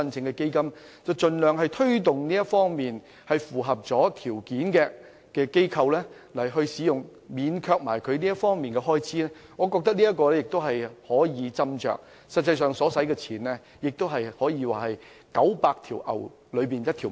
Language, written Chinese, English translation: Cantonese, 我們應盡量推動符合條件的機構使用學校場地，免卻這方面的開支，我覺得有關安排可以斟酌，實際上所花的費用，可說是九牛一毛。, We should make every effort to facilitate eligible organizations to use school venues . In this respect I think we can consider exempting them from payment of expenses associated with the use of school venues . Anyway the fees involved are minimal